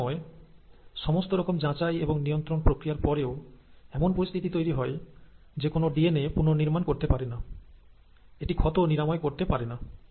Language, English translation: Bengali, Now, many a times, despite all the checks and balances in place, a situation may happen when the cell is not able to repair the DNA, it's not able to repair the damages done